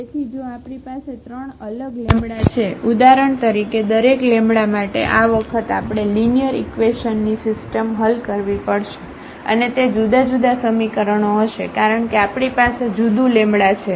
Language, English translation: Gujarati, So, for 3 times we have to solve the system of linear equations and they will be different equations because we have the different lambda